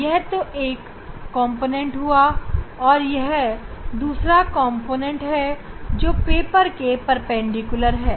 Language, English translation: Hindi, one component is this, another component is this perpendicular to the paper